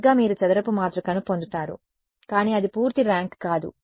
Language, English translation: Telugu, Right you will get a square matrix, but it is not full rank